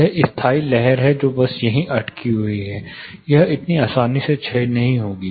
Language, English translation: Hindi, There is a standing wave which is just stuck here, this wont decay that easily